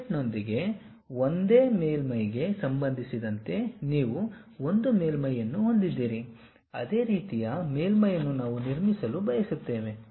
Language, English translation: Kannada, You have one surface with respect to that one surface with an offset, similar kind of surface we would like to construct it